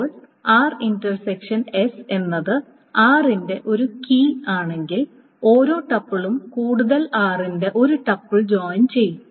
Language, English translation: Malayalam, Now, if R intersection of S is a key for R, then each tuple of S will join with at most one tuple of R